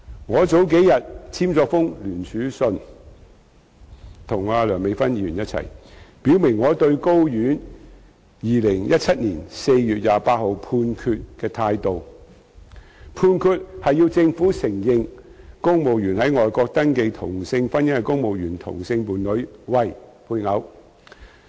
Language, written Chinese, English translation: Cantonese, 我數天前與梁美芬議員一同簽署聯署信，表明我對高等法院在2017年4月28日頒布的判決的態度，有關判決要求政府承認在外國登記同性婚姻的公務員同性伴侶為配偶。, A few days ago Dr Priscilla LEUNG and I jointly signed a letter declaring my position on the Judgment handed down by the High Court on 28 April 2017 which demanded that the Government recognize the same - sex partner of a civil servant who had entered into a same - sex marriage registered overseas as spouse